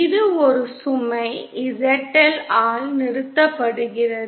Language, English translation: Tamil, It is also terminated by a load ZL